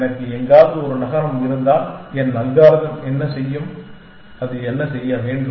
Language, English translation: Tamil, If I have a city somewhere there, what will my algorithm do, ideally what should it do